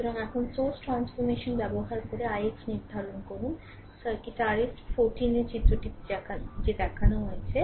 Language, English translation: Bengali, So, now, using source transformation determine i x in the circuit your shown in figure this 14 that is it is chapter topic 4